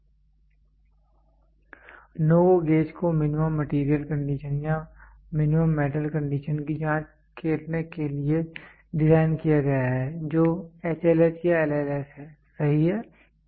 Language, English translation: Hindi, The NO GO gauge is designed to check minimum material condition or minimum metal condition that is H